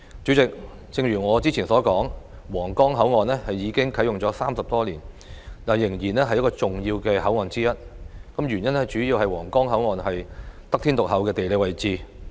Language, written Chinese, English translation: Cantonese, 主席，正如我早前所說，皇崗口岸啟用至今已30多年，但仍然是最重要的口岸之一，原因主要是皇崗口岸得天獨厚的地理位置。, President as I said earlier the Huanggang Port has been in operation for over 30 years since commissioning but it remains one of the most important ports primarily because it has everything going for it in terms of geographic location